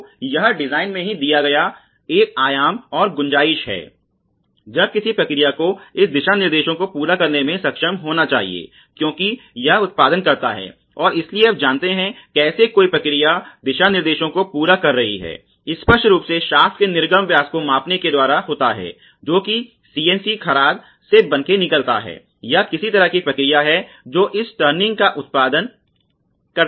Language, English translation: Hindi, So, this is a dimension and tolerance given in the design itself, when the process should be able to meet this guidelines as it produces and so how do you know that the process is meeting the guidelines; obviously is by measuring the output diameter of the shafts which is coming out of let say CNC lathe ok, or some kind of process which produces this turning